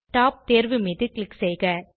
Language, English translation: Tamil, Click on the Top option